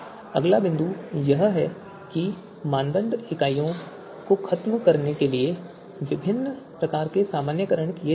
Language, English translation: Hindi, Different kinds of normalization are done to eliminate the units of criteria